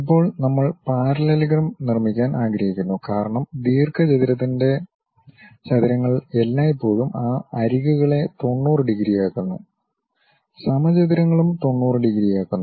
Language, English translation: Malayalam, Now, parallelogram we would like to construct because rectangles always make those edges 90 degrees, squares also 90 degrees